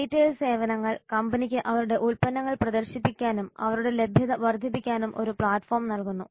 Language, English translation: Malayalam, Retail services provide a platform to the company to showcase their products and maximize their reach